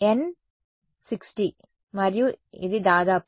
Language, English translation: Telugu, N 60 and this is about 0